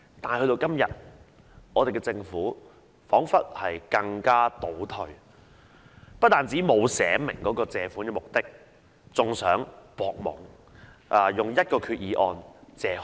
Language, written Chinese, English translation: Cantonese, 但到了今天，政府彷彿倒退了，不單沒有註明借款目的，還想蒙混過關，以一項決議案多次借款。, But it seems that the Government has retrogressed today . It has not only failed to specify the purpose of borrowings but also attempted to muddle through making multiple borrowings with one Resolution